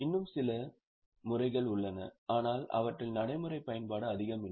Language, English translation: Tamil, There are some more methods but they don't have much of practical utility